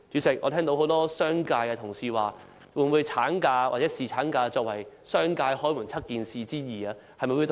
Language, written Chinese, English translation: Cantonese, 主席，很多商界同事提出了一連串問題：產假或侍產假會否作為商界"開門七件事之二"處理呢？, President many Honourable colleagues from the business sector have raised a series of questions Will maternity or paternity leave be regarded as one of the basic necessities?